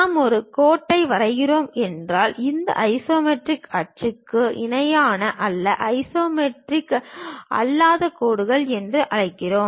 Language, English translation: Tamil, If we are drawing a line, not parallel to these isometric axis; we call non isometric lines